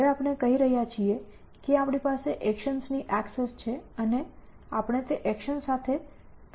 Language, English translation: Gujarati, Now, we are saying that we have access to actions and we will reason with those actions essentially